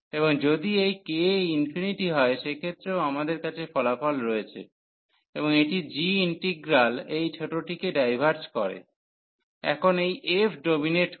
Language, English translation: Bengali, And we have also the result if this k is come infinity, and this diverges the g integral which is the smaller one now this f dominates